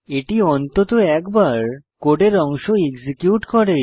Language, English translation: Bengali, So, the code will be executed at least once